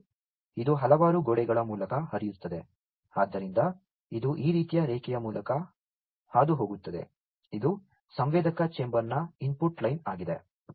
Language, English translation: Kannada, And this flows through a several walls are there so it passes, through this kind of line so, which is the input line of the sensor chamber